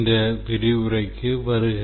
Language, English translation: Tamil, Welcome to this lecture this lecture